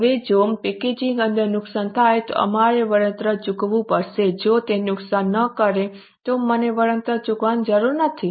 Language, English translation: Gujarati, Now, if inside the package they are damaged, we may have to pay compensation